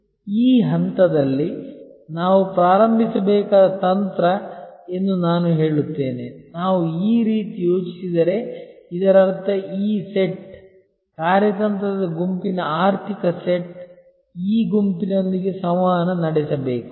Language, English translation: Kannada, I would say that strategy we should start at this point, if we think in this way which means that these set, the financial set of the strategic set must interact with this set